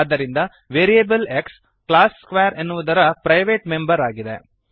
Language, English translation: Kannada, Hence variable x is a private member of class square